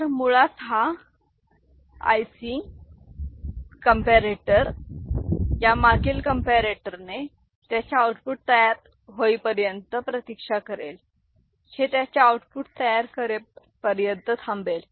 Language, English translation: Marathi, So, basically this IC comparator will wait till you know this previous comparator generates its output, this will wait till this one generates its output